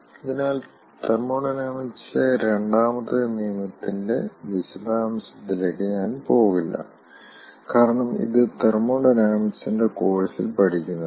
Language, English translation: Malayalam, so again, i will not go ah into details of second law of thermodynamics as it is done in a course of thermodynamics